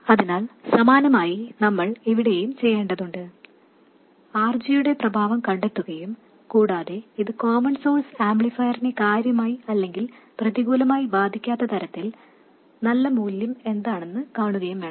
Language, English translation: Malayalam, We have to find the effect of RG and see what is a good value so that it doesn't significantly or adversely affect the common source amplifier